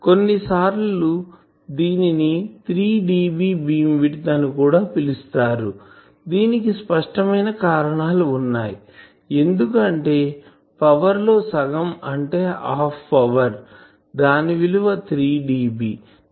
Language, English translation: Telugu, Also sometimes this is called 3dB beamwidth for obvious reasons, because half power in power if I have a half power that is 3dB